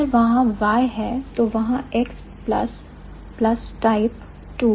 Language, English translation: Hindi, Type 2, if there is y, then there is x plus plus type 2